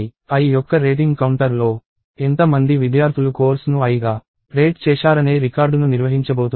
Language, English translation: Telugu, And rating counters of i is going to maintain the record of how many students rated the course as i